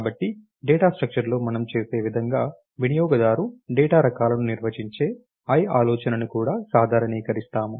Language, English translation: Telugu, So, what we do in a data structure is similarly what we do is, we also generalize the i idea of user define data types